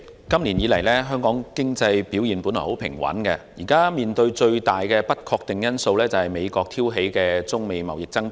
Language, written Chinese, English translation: Cantonese, 主席，香港經濟今年以來表現平穩，目前面對的最大不確定因素是美國挑起的中美貿易爭端。, President the economic performance of Hong Kong has been stable so far this year but the biggest uncertainty before us is the trade dispute between China and the United States stirred up by the latter